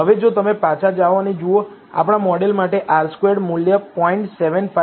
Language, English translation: Gujarati, Now if you go back and see, the R squared value for our model is 0